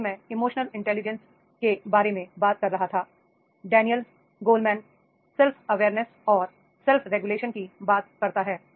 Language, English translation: Hindi, Like I was talking about the emotional intelligence, Daniel Goldman, that is a self awareness and self regulation